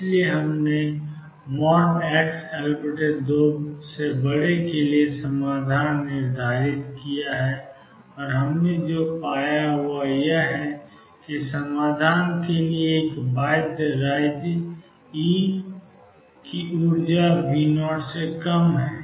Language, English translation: Hindi, So, we have determined the solution for the region mod x greater than L by 2, and what we have found is that for solution to be a bound state energy E is less than V 0